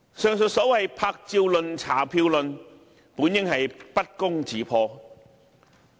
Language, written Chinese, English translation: Cantonese, 上述所謂"拍照論"、"查票論"本應不攻自破。, The so - called photo - taking and ballot - checking theories should not hold water